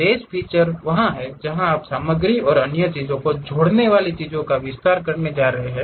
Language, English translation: Hindi, Boss feature is the one where you are going to extend the things add material and other things